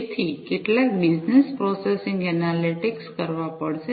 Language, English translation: Gujarati, So, some business processing analytics will have to be performed